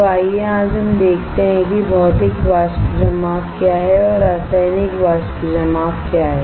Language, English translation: Hindi, So, let us see today what are what are the Physical Vapor Depositions and what are the Chemical Vapor Depositions again